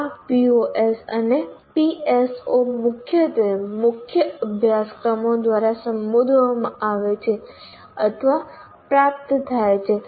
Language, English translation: Gujarati, And these POs and PSOs are mainly addressed or attained through core courses